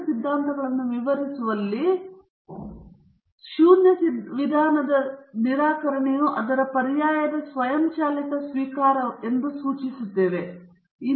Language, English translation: Kannada, In defining the two hypotheses, we imply that the rejection of the null means automatic acceptance of its alternative